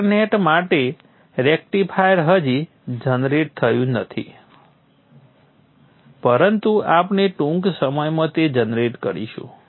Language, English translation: Gujarati, rectifier for dot net is not it generated but we will shortly generate that